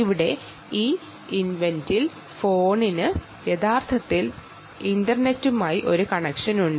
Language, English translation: Malayalam, in this event, here the ah phone actually has a, a connection to the internet